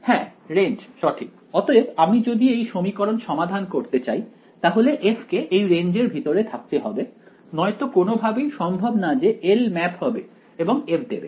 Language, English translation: Bengali, The range right; so if I am going to be able to solve this equation f should be inside this range, otherwise there is no way that L will map anything and get me f alright